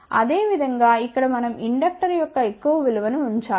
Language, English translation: Telugu, Similarly, over here we need to put a large value of inductor